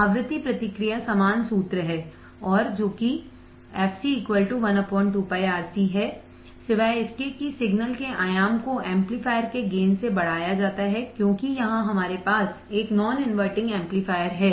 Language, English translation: Hindi, The frequency response is the same formula and would be f c equal to one upon 2 pi R C, except that the amplitude of the signal is increased by the gain of the amplifier because here we have a non inverting amplifier